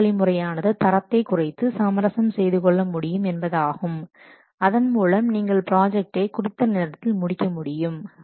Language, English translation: Tamil, Another option is that we can reduce the quality so that by compromising the quality we can finish the project on time